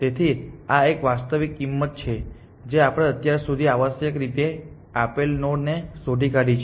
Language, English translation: Gujarati, So, this is a actual cost that we have found to a given node so far essentially